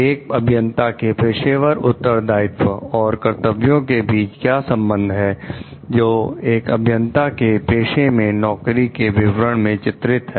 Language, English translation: Hindi, What is the relationship between an engineer's professional responsibilities and the duties delineated in the job description for that engineer's professssion